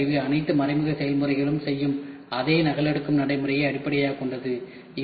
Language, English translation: Tamil, Then indirect tooling is based on the same copying procedure as all the indirect processes do